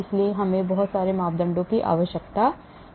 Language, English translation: Hindi, so we need lot of parameters